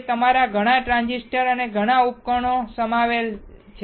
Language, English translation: Gujarati, And that consists of your lot of transistors, lot of devices